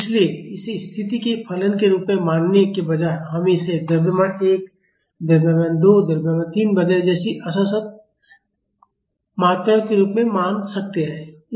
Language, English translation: Hindi, So, instead of treating it as a function of position, we can treat it as discrete quantities like mass 1, mass 2, mass 3 etcetera